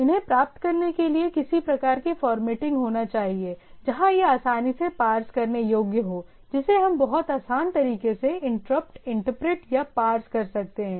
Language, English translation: Hindi, In order to achieve these, there should be a some sort of formatting where easily which is easily parsable which we can interrupt, interpret or parse in a much easier way